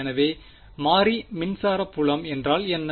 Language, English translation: Tamil, So, what is the variable electric field